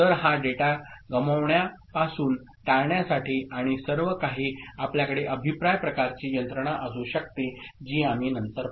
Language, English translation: Marathi, So, to prevent this data being lost and all, so you can have a feedback kind of mechanism that we shall see later ok